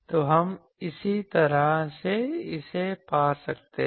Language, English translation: Hindi, So, we can similarly find this